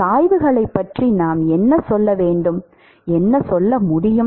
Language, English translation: Tamil, What can we say about the gradients